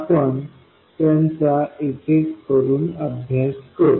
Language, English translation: Marathi, We will study them one by one